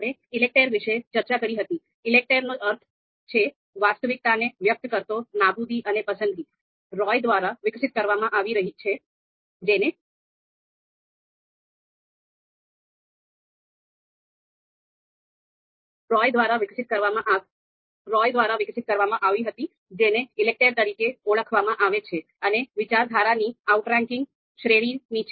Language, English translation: Gujarati, So we talked about ELECTRE, the meaning of ELECTRE being that elimination and choice expressing the reality, developed by Roy, referred as you know briefly referred as ELECTRE in brief, belongs to the category of you know outranking school of thought